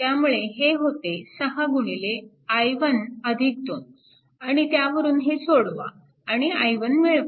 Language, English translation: Marathi, So, it will be 6 into i 1 minus i 2 right